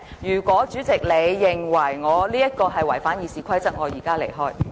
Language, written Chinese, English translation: Cantonese, 如果代理主席認為我違反《議事規則》，我現在便離開會議廳。, If the Deputy President considers that I have violated the Rules of Procedure I will leave the Chamber immediately